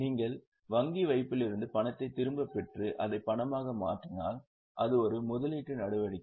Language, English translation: Tamil, If you are putting a deposit in a bank it will be an investing activity